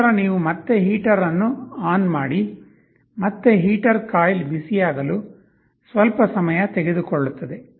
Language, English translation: Kannada, Later, you again turn on the heater, again heater will take some time for the coil to become hot